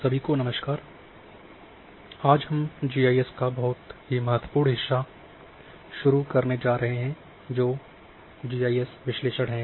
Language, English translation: Hindi, Hello everyone and today we are going to start the very important part of GIS that is analysis